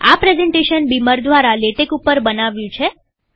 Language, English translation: Gujarati, This presentation has been made with beamer, using Latex